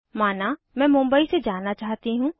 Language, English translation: Hindi, Suppose i want to go from Mumbai